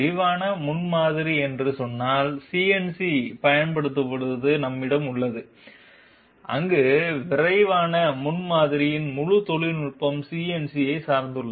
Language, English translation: Tamil, We have CNC being applied in case of say rapid prototyping, where the whole technology of rapid prototyping is dependent upon CNC